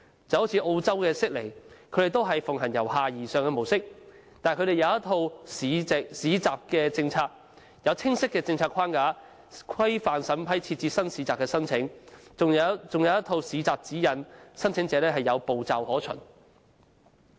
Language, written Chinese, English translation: Cantonese, 正如澳洲悉尼也是奉行由下而上的模式，但他們有一套《市集政策》，有清晰的政策框架規範審批新市集的申請，還有一套《市集指引》，讓申請者有步驟可循。, In Sydney Australia a bottom - up approach is also adopted but the Government has implemented the Markets Policy which provides a clear policy framework governing the assessment of applications for the establishment of new markets . There is also a Markets Guide which provides clear step - by - step guidelines for the applicants to follow